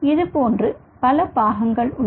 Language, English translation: Tamil, so there are several parts